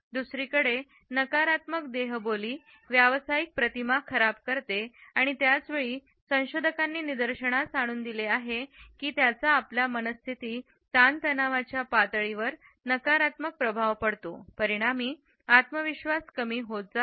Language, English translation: Marathi, On the other hand negative body language impairs a professional image and at the same time as researchers have pointed, it leaves a negative impact on our mood, on our stress levels, ultimately resulting in the diminishing self esteem